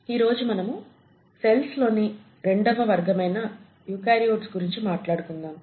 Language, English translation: Telugu, Welcome back and today we are going to talk about the second category of cells which are the eukaryotes